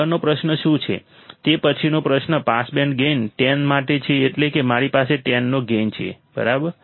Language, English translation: Gujarati, What is the next question next question is for a pass band gain of 10 that is I have a gain of 10, right